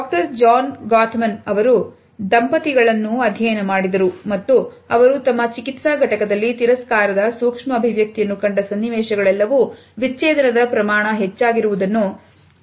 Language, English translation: Kannada, Doctor John Gottman studied couples and he has found that when he sees the contempt micro expression in his therapy office there is a very high rate of divorce